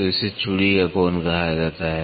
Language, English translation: Hindi, So, it is called as angle of thread